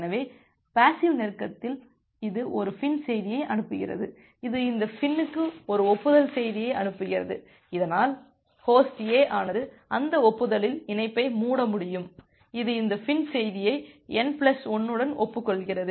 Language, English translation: Tamil, So, in the passive close, it sends a FIN message, it sends an acknowledgement message to this fin, so that Host A can close the connection in that acknowledgement it acknowledges this FIN message with n plus 1